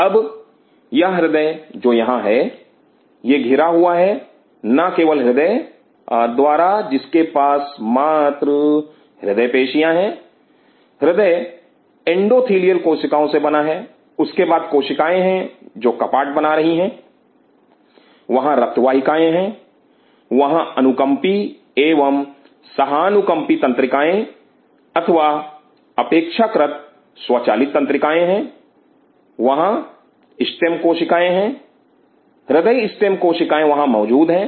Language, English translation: Hindi, Now, this heart which is here, it is surrounded by not only heart has only cardio myocytes, the heart consists of endothelial cells then there are cells which are forming the valves, there are blood vessels, there are sympathetic and parasympathetic nerves or rather autonomic nerves, there are stem cells cardiac step cells which are present there